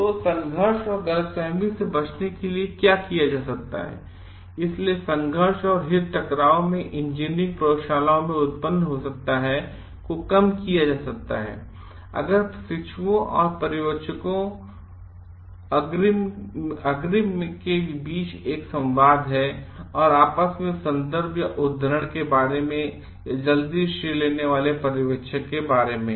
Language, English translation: Hindi, So, what can be done to avoid conflict and misunderstandings so, conflicts and interests may arise in engineering laboratories, these can be reduced if trainees and supervisors have a dialogue between credit between themselves about credit in advance and supervisors crediting early in relationship